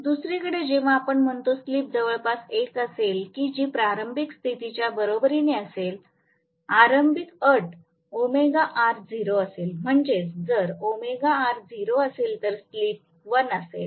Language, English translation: Marathi, On the other hand, when we say, when the slip is close to 1 which is equivalent to the starting condition, starting condition omega R is 0, if omega R is 0 the slip is 1